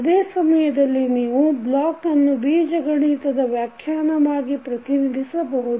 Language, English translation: Kannada, At the same time you can represent the block as an algebraical function